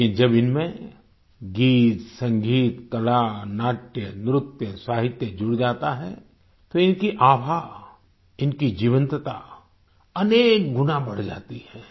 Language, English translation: Hindi, But when songmusic, art, dramadance, literature is added to these, their aura , their liveliness increases many times